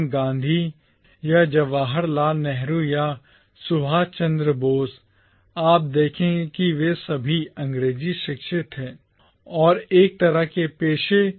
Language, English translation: Hindi, Gandhi or Jawaharlal Nehru or Subhash Chandra Bose, you would notice that they were all English educated and were involved in one kind of profession or other